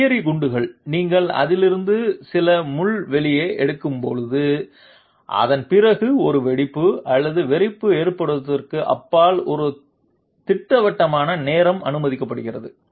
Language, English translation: Tamil, you know grenades, when you take out some pin from that, after that a definite time is permitted beyond which an explosion or detonation occurs